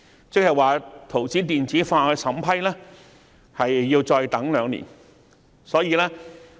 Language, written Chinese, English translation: Cantonese, 這即是說，圖紙的電子化審批要再等兩年才可落實。, That is to say we still have to wait two years for the implementation of electronic vetting and approval of drawings